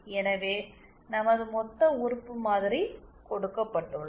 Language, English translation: Tamil, So our lumped element model has been given